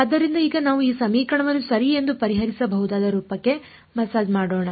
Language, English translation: Kannada, So, let us now sort of massage this equation into a form that we can solve ok